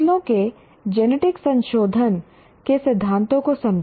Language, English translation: Hindi, This is an understand the principles of genetic modification of crops